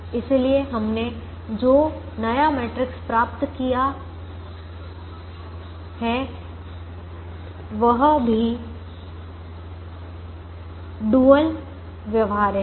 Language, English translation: Hindi, therefore the new matrix that we have obtained is also dual feasible